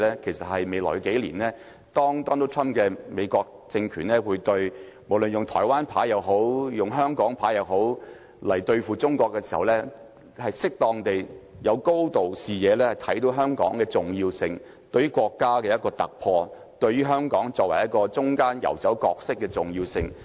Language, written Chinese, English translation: Cantonese, 其實，在未來幾年，不論 Donald TRUMP 的美國政權是用"台灣牌"或"香港牌"對付中國時，香港特首也要有適當的高度和視野，看到香港的重要性，即對於香港作為國家一個突破點，作為中間游走角色的重要性。, As a matter of fact over the next few years regardless of the card whether a Taiwan Card or Hong Kong Card to be played by the American regime under Donald TRUMP against China the Chief Executive of Hong Kong should have the vision to recognize Hong Kongs importance at the right level as the countrys point of breakthrough and connection between the two powers